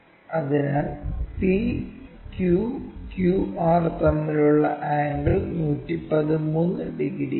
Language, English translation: Malayalam, The PQ angle, so angle between PQ and QR which is around 113 degrees